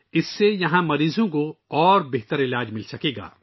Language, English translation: Urdu, With this, patients will be able to get better treatment here